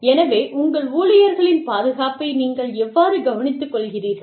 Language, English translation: Tamil, So, how do you take care of your, the safety of your employees